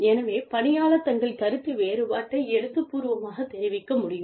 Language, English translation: Tamil, So, the employee can communicate, their dissent in writing